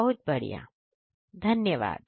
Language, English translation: Hindi, Wonderful thank you